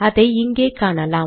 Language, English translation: Tamil, It comes here